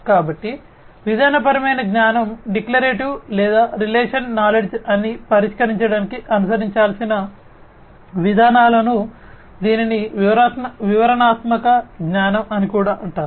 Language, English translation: Telugu, So, the procedures that will have to be followed in order to solve it that is procedural knowledge, declarative or, relational knowledge, this is also known as descriptive knowledge